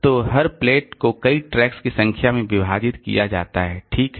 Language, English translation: Hindi, So, every plate, every plate is divided into number of tracks